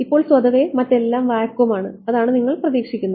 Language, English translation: Malayalam, Now, by default everything else is vacuum that is what you would expect ok